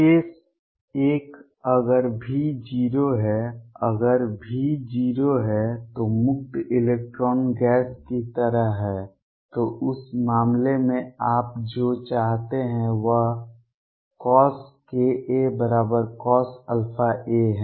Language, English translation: Hindi, Case one, if V is 0: if V is 0 is like free electron gas so what you want to have in that case is cosine k a is equal to cosine of alpha a